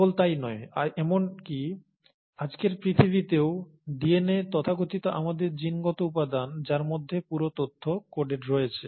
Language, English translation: Bengali, And not just that, even in today’s world, where DNA, the so called our genetic material which has the entire coded information